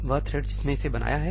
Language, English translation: Hindi, The thread which created it